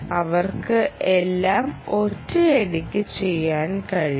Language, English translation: Malayalam, they can do them all at once